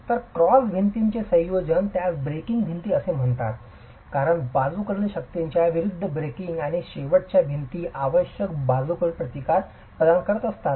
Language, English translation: Marathi, So, a combination of the cross walls also referred to as bracing walls because they are bracing against the lateral forces and the end walls provide the required lateral resistance